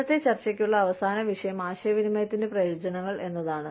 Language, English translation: Malayalam, Last topic, for today's discussion is, benefits communication